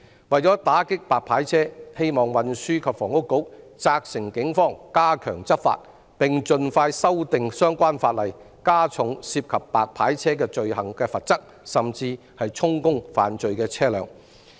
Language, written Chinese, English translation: Cantonese, 為了打擊"白牌車"，希望運輸及房屋局責成警方加強執法，並盡快修訂相關法例，加重涉及"白牌車"罪行的罰則，甚至充公犯罪的車輛。, In order to clamp down on white licence cars service we hope that the Transport and Housing Bureau can instruct the Police to step up enforcement actions and amend the related laws without delay so as to increase penalties on white licence cars service related crimes and even confiscate the vehicles carrying out illegal activities